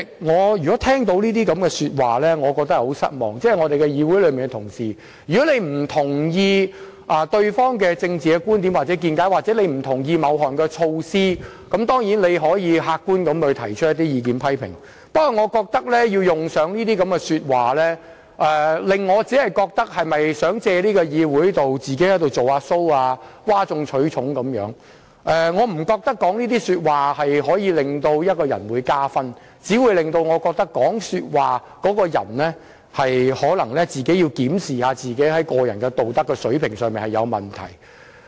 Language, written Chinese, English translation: Cantonese, 我對這些說話感到很失望，議員同事不認同對方的政治觀點或某項措施，可以客觀地提出意見和批評，但用上這類說話只會令我覺得他們是否想藉議會"做個人 show"， 譁眾取寵，因為我並不覺得說這些話可以為一個人加分，只會令我覺得這個人應檢視個人道德水平是否有問題。, Colleagues who do not agree with others political views or a particular measure may express their views and criticisms in an objective manner . Such remarks however will only make me feel that they wish to perform a personal show in this Council to curry popular favour . For I do not think that such words can win credits for a person